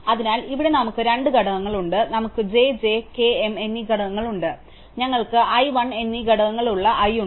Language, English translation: Malayalam, So, here we have two components, we have component j which is j, k and m and we have component i which is i and l